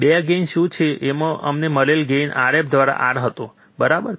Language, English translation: Gujarati, 2 into what is the gain we found the gain was R f by R in right